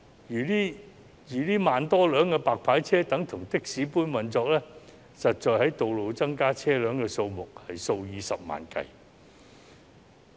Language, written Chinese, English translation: Cantonese, 若這1萬多輛"白牌車"等同的士般運作，實際在道路增加的車輛數目是數以十萬計。, If these some 10 000 cars for illegal car hire service operate just like taxis there are actually hundreds of thousands of additional cars on the road